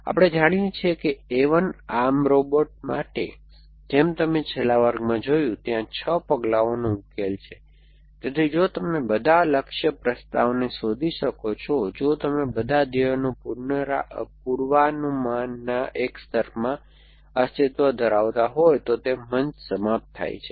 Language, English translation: Gujarati, We know that for A 1 arm robot, as you on a last class there is a 6 steps solution, so the stage when ends if one all goal predicates of propositions exists in a layer non Mutex if you can find all the goal proposition